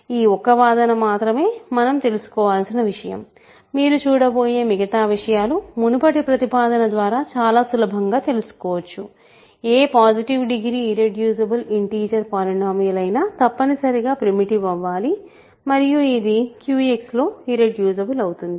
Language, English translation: Telugu, This is really the only argument only fact we need to know the rest as you will see is very easy from previous proposition; any irreducible integer polynomial whose degree is positive must be primitive and it is irreducible in Q X